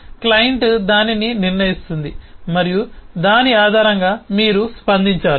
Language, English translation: Telugu, the client will decide that and based on that you will have to react